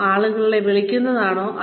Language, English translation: Malayalam, Is it calling up people